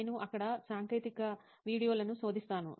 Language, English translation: Telugu, So I search technical videos over there